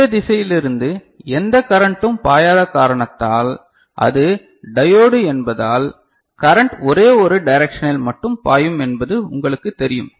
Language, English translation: Tamil, Because no current is flowing from this direction and it is diode is you know current can flow in only one direction